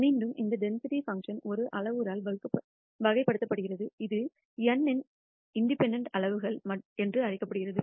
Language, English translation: Tamil, Again this density function is characterized by one parameter which is n called the degrees of freedom